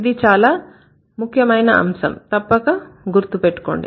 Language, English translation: Telugu, This is an important aspect, please remember it